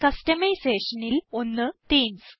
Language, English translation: Malayalam, One of the customisation is Themes